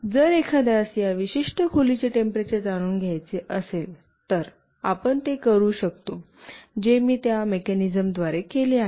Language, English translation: Marathi, If somebody wants to know the temperature of this particular room, you can get it through the mechanism I told you